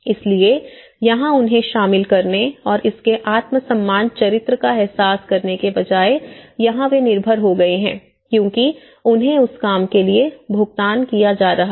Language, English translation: Hindi, So, here, instead of making them involved and realize the self esteem character of it, here, they have become dependent because they are getting paid for that own work